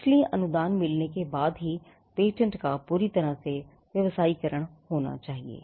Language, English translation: Hindi, So, when a patent gets granted it is only after the grant that patent can be fully commercialized